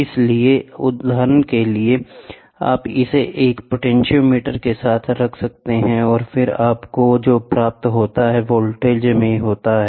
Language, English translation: Hindi, So, for example, you can put it with a potentiometer, and then what you get is output in voltage